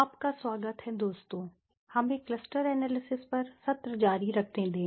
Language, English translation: Hindi, Welcome friends; let us continue with the session on cluster analysis